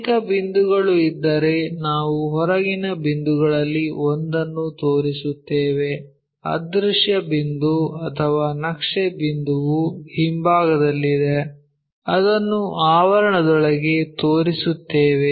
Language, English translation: Kannada, There are multiple if multiple points are there one of the point we will show outside, invisible point or map point which is at back side we will show it within the parenthesis